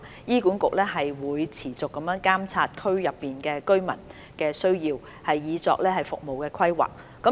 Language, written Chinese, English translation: Cantonese, 醫管局會持續監察區內居民的需要以作服務規劃。, HA will keep monitoring the needs of local residents for service planning